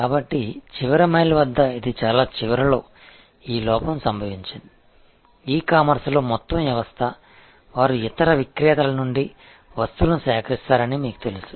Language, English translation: Telugu, So, it is actually at the very end at the last mile, this lapse occurred, the system as a whole in the e commerce as you know they procure stuff from other vendors